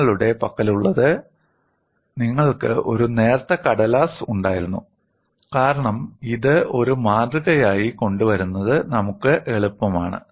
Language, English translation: Malayalam, What you had was you had a thin strip of paper, because it is easy far us to bring it as a specimen and you had one central crack